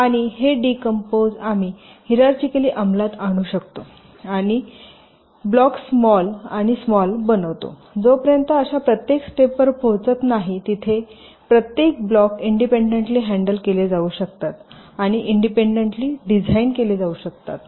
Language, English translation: Marathi, ok, and this decomposition we can carry out hierarchically, making the blocks smaller and smaller until we reach a stage where each of the blocks can be handled and designed independently